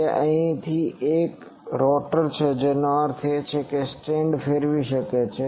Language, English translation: Gujarati, So here is an rotor I mean is a stand which can rotate